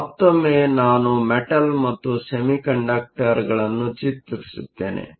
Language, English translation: Kannada, So, once again let me draw the metal and the semiconductor